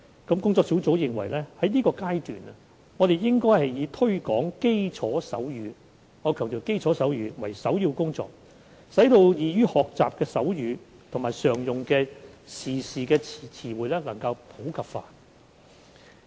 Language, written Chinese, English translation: Cantonese, 工作小組認為現階段應以推廣基礎手語——我強調是基礎手語——為首要工作，使易於學習的手語及常用的時事詞彙普及化。, The working group is of the view that the priority at the present stage should be the promotion of basic sign language―basic sign language I must emphasize―with a view to popularizing some easy signs and signs standing for common words and expressions used in current affairs